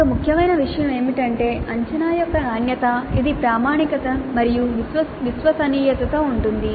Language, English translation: Telugu, And another important thing is the quality of the assessment which is characterized by validity and reliability